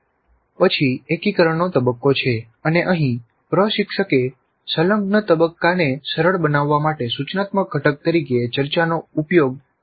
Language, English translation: Gujarati, Then there is an integration phase and here the instructor has chosen to use discussion as the instructional component to facilitate the integration phase